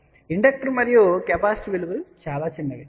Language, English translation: Telugu, But over here, the inductor and capacitor values are very very small